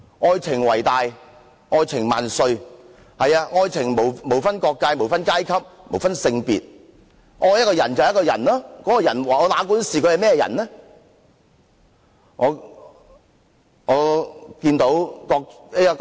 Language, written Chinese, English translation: Cantonese, 愛情為大，愛情萬歲，愛情無分國界、無分階級、無分性別，愛一個人便是愛一個人，哪管他是甚麼人。, Love is above all and everlasting . There is no boundary no social status and no gender in love . To love a person is to love him regardless of who he is